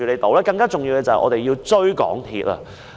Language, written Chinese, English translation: Cantonese, 更重要的是，我們要追究港鐵公司。, More importantly we should pursue accountability on the part of MTRCL